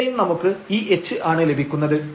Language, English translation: Malayalam, So, exactly we have this is like h here